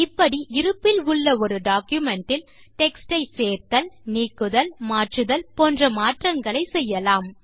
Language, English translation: Tamil, In this manner, modifications can be made to a document by adding, deleting or changing an existing text in a document